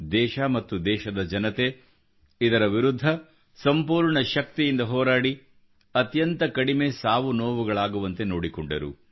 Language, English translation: Kannada, The country and her people fought them with all their strength, ensuring minimum loss of life